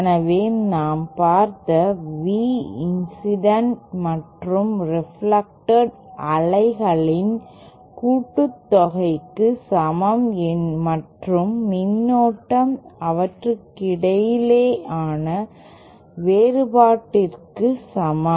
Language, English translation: Tamil, So then V we saw is equal to the sum of the incident and the reflected waves and current is equal to the difference between them